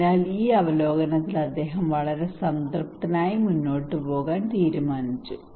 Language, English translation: Malayalam, So he was very satisfied with this review and he decided to go forward